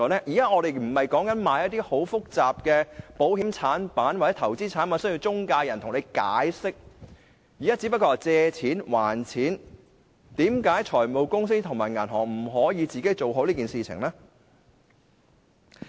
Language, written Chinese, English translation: Cantonese, 現在我們說的不是售賣一些很複雜的保險或投資產品，而需要中介人解釋，現在說的只是借錢、還錢，為何財務公司及銀行本身不可以做好這件事情呢？, We are not talking about the marketing of some very complicated insurance or investment products which means that explanations by intermediaries are required . Instead we are now talking about the borrowing and repayment of money . Why can finance companies and banks not perform this task properly?